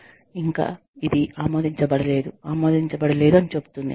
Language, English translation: Telugu, It just says, not approved yet, not approved yet